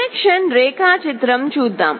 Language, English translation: Telugu, Let us look at the connection diagram